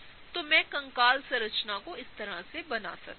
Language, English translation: Hindi, So, I can draw the skeletal structure like this